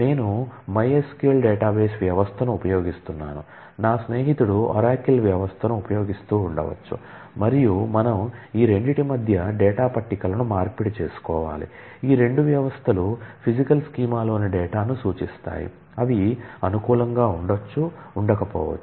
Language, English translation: Telugu, I may be using a my SQL kind of database system, my friend may be using an oracle system, and we need to exchange data tables between these two, these two systems will represent the data in the in physical schema which are not may not be compatible